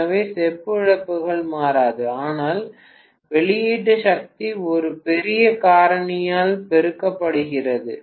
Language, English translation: Tamil, So the copper losses will not change, but the output power has multiplied by a huge factor, right